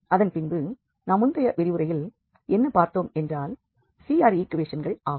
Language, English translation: Tamil, So the same situation what we had in the previous example that CR equations are satisfied only at origin